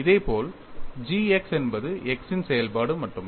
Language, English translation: Tamil, Similarly, g x is a function of x only